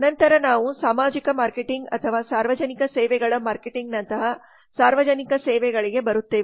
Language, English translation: Kannada, then we come to public services like social marketing or public services marketing